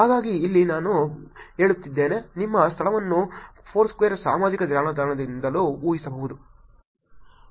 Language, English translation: Kannada, So here I am saying that your location can be also inferred from the social networks like foursquare